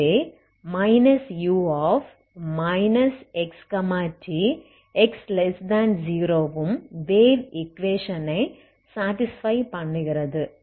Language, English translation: Tamil, So U this quantity for X negative is also satisfying wave equation ok